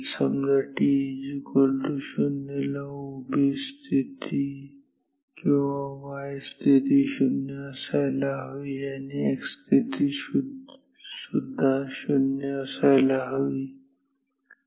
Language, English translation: Marathi, Say, at t equal to 0 the vertical position or y position should be 0 and the x position should also be 0